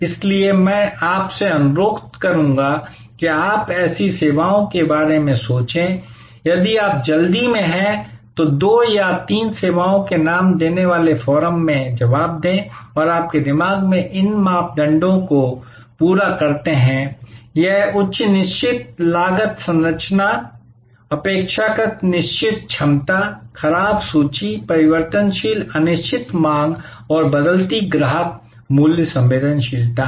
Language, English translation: Hindi, So, I would request you to think about such services and if you are quick, then respond in the forum giving names of two or three services, which in your mind full fill these criteria; that is high fixed cost structure, relatively fixed capacity, perishable inventory, variable uncertain demand and varying customer price sensitivity